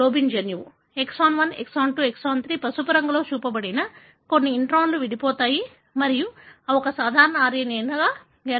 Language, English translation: Telugu, Exon 1, exon 2 , exon 3, all the introns that are shown in yellow colour are spliced out and they are joined together to form a normal RNA